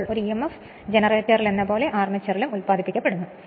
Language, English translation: Malayalam, So, that emf is induced in the armature as in a generator right